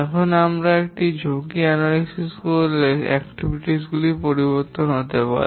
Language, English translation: Bengali, And once we do the risk analysis, the activities may change